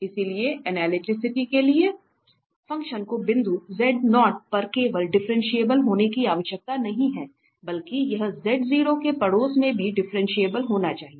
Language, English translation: Hindi, So, for analyticity the function need not to be just differentiable at the point z0, but it has to be also differentiable in the neighborhood of z0